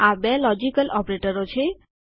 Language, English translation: Gujarati, So these are the two logical operators